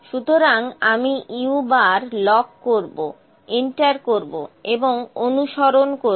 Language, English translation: Bengali, So, I will lock the u bar, enter and track